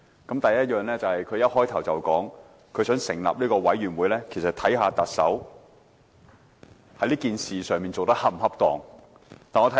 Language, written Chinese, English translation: Cantonese, 她發言開始時便說，成立調查委員會是為調查特首在事件中做得是否恰當。, She started off by saying that the purpose of forming an investigation committee is to investigate whether the Chief Executive had acted appropriately in the incident